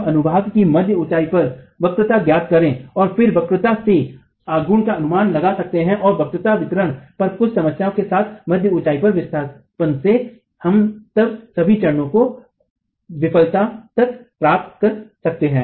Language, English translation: Hindi, So if we can calculate the curvature of the mid height section and then estimate the moments from the curvature and the displacement at mid height with certain assumptions on the curvature distribution, we can then get all stages up to failure